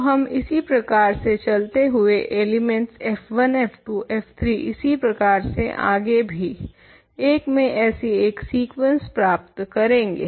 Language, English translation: Hindi, So, we continue like this to obtain a sequence of elements f 1, f 2, f 3 and so on in I